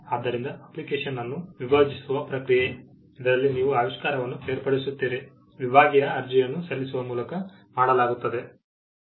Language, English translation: Kannada, So, the process of dividing an application, wherein, you separate the invention, is done by filing a divisional application